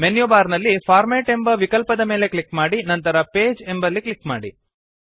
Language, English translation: Kannada, Click on the Format option in the menu bar and then click on Page